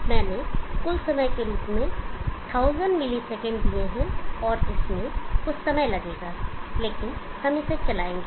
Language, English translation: Hindi, I have given 1000 milliseconds as a total time, and it will take some time, but we will run this